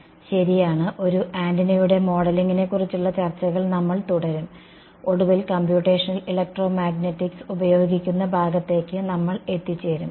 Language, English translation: Malayalam, Right so, we will a continue with our discussion of the modeling of an antenna and we finally come to the part where we get to use Computational Electromagnetics right